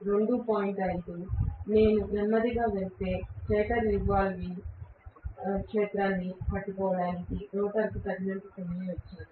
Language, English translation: Telugu, 5, if I go slow, then I gave rotor enough time to catch up with the stator revolving magnetic field